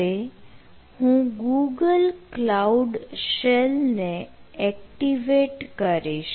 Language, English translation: Gujarati, now i will activate thar google cloud shell